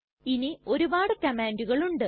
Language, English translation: Malayalam, There are many more commands